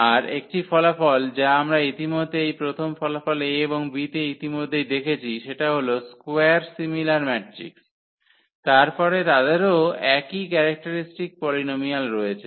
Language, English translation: Bengali, Another result which actually we have seen already in this first result A B are the square similar matrices, then they have the same characteristic polynomial